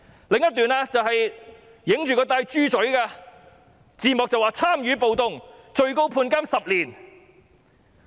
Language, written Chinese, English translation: Cantonese, 另一個畫面是一個人佩戴着"豬嘴"，字幕寫上"參與暴動最高判刑10年"。, In another API we see a man wearing a pigs snout gas mask . The caption reads Taking Part in a Riot Maximum Penalty Ten Years